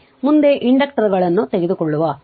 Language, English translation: Kannada, So, next we will take the inductors right